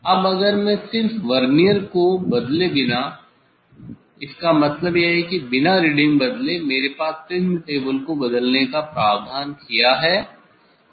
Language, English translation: Hindi, Now, if I just without changing the Vernier; that means, without changing the reading I have provision to change the prism table